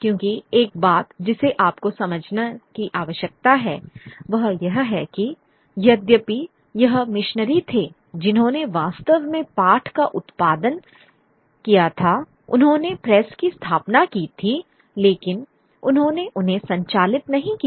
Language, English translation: Hindi, Because one point that you need to understand that though the, it was the, it was the missionaries who actually produced text, they were, they had established the press, but they didn't operate them